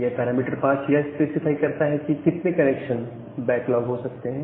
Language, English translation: Hindi, So, this parameter 5 which specifies how much such connection can get backlogged